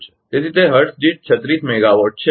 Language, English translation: Gujarati, So, it is 36 megawatt per hertz right